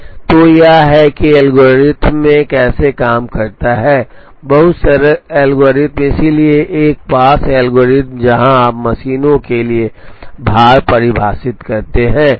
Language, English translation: Hindi, So, this is how this algorithm works, so very simple algorithm, so one pass algorithm where you define weights for the machines